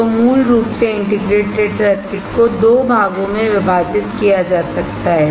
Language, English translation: Hindi, So, basically integrated circuits can be divided into 2